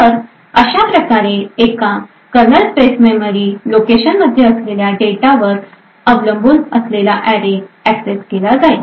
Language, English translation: Marathi, Thus, the array would be accessed at a location which is dependent on the data which is present in this kernel space memory location